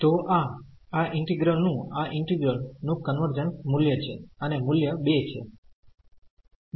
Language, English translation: Gujarati, So, that is the value of this integral this integral convergence and the value is 2